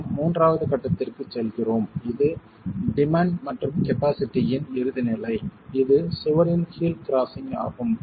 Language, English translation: Tamil, We go to the third stage which is the ultimate stage of the demand and the capacity of the wall which is toe crushing itself